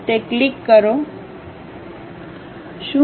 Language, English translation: Gujarati, Click that, do that